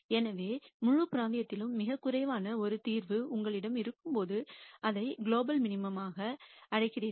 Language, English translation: Tamil, So, when you have a solution which is the lowest in the whole region then you call that as a global minimum